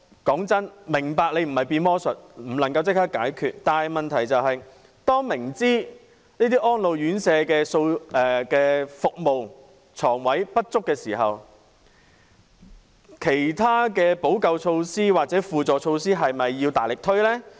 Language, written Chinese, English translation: Cantonese, 坦白說，我明白你不是魔術師，不能立即解決困難，但問題是明知這些安老院舍的服務、床位不足時，其他補救措施是否應該大力推行呢？, I understand that you are not a magician who can solve the difficulties right away . The point is that when the inadequacy of residential care services and places for the elderly is well known why are other remedial measures not implemented actively?